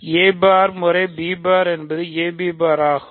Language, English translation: Tamil, So, a bar times b bar is a b bar